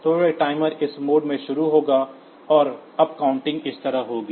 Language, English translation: Hindi, So, this timer will start with this mode, with and this the upcounting will be like this